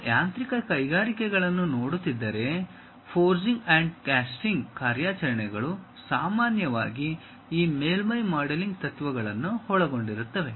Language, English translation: Kannada, If you are looking at mechanical industries, the forging and casting operations usually involves this surface modelling principles